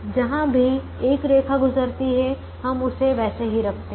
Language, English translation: Hindi, wherever one line passes through, we keep it as it is